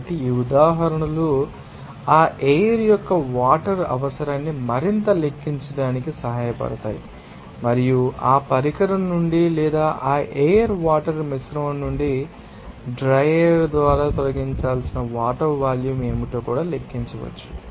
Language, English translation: Telugu, So, these examples will be helpful to you know calculate further that requirement of water requirement of you know that air and also what to be the amount of water to be removed from that you know, device or from that you know that air water mixture by the dry air